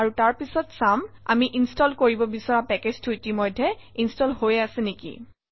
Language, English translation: Assamese, And then we will just check whether the packages that we tried to install are already installed